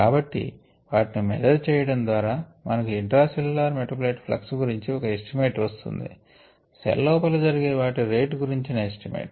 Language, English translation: Telugu, so with by measuring those can, we can get an estimate of the intracellular metabolite flux, right, the rates things are going on inside the cell